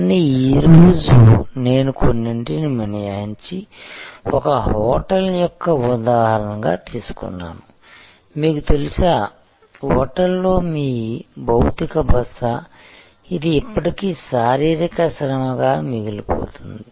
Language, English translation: Telugu, But, today I have taken the example of a hotel except for some, you know your physical stay at the hotel which is still the core that remains a physical set of activities